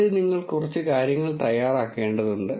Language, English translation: Malayalam, First you have to get things ready